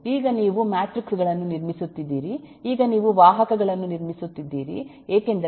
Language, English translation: Kannada, now you are building up matrices, now you are building up vectors, because you are doing a matlab